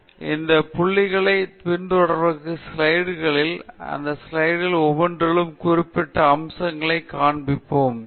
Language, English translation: Tamil, So, in the slides that follow both these points I will touch up on and highlight specific aspects in each of those slides